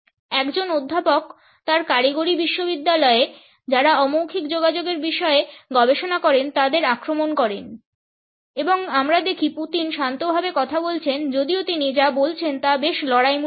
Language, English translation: Bengali, A professor attacks his tech university who researches non verbal communication explained and we see Putin’s spoke calmly even though what he was saying was pretty combative